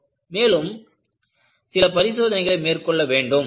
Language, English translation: Tamil, So, you need to go for little more tests